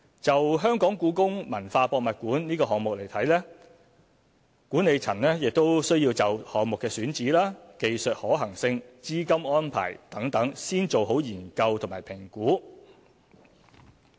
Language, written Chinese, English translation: Cantonese, 就故宮館項目而言，管理層亦需要就項目的選址、技術可行性、資金安排等先做好研究和評估。, In respect of the HKPM project the Management has to undertake studies and assessments in relation to site selection the technical feasibility as well as funding arrangement for the project